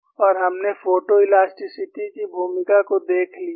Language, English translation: Hindi, And we have amply seen the role of photo elasticity